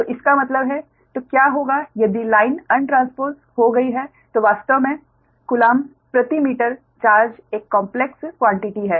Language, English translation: Hindi, so if that means what, that, if the, if the line is untransposed, the charge, actually coulomb per meter, is a complex quantity, right